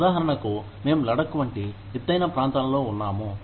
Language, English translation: Telugu, For example, we are based in, say, a high reach area like, Ladakh